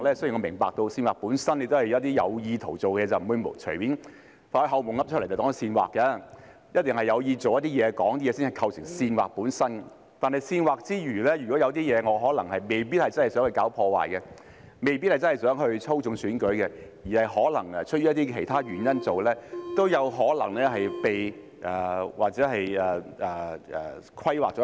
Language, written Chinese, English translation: Cantonese, 雖然我明白煽惑本身是有意圖而做的事，並不會隨便把做夢時說出來的話當作煽惑，一定是有意圖去做一些事、說一些話才會構成煽惑，但在煽惑之外，如果有一些情況是，我可能未必真的想搞破壞，未必真的想操縱選舉，可能是出於其他原因去做，也有可能被涵蓋在內。, But the problem is under the common law regarding the so - called incitement Although I understand that incitement itself is something done intentionally whereas words spoken in a dream would not be taken as incitement casually . Only something done or spoken with an intent would constitute incitement . But then apart from incitement if there are some circumstances under which I may not really want to do harm or I may not really want to manipulate the election but I may do it for other reasons perhaps I will be caught by that provision as well